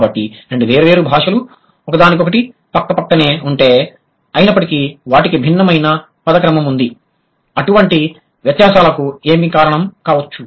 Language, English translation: Telugu, So, if two different languages like who which are bordering to each other, yet they have different word order, what could have been the possible reason of such differences